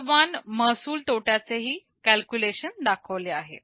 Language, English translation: Marathi, The percentage revenue loss calculation is also shown